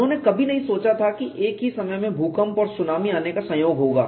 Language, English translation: Hindi, They never thought there would be a combination of earthquake and tsunami coming at the same time